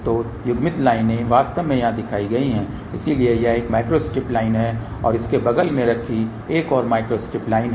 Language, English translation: Hindi, So, coupled lines are actually shown here, so this is the one micro strip line and there is another micro strip line kept next to that